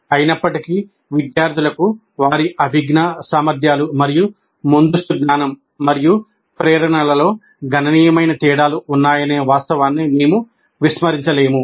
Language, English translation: Telugu, However, we cannot ignore the fact that the students have considerable differences in their cognitive abilities and prerequisite knowledge and motivations